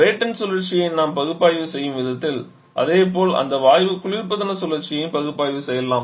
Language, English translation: Tamil, Just the way you analysis, Brayton cycle similarly we can analyse that gas refrigeration cycle as well